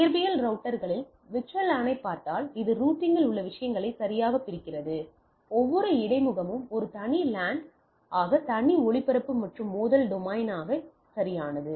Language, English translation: Tamil, If you look at the LAN in the physical routers, this segregate those things right in the in the routing, every interface as a separate LAN with a separate broadcast, and collision domain right